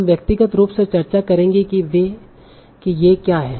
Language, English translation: Hindi, We will discuss what are these individually